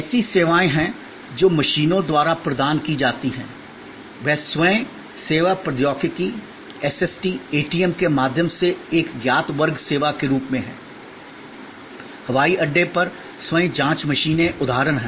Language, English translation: Hindi, There are services which are provided by machines, they are as a class known service through Self Service Technology, SST, ATMs, self checking machines at the airport are examples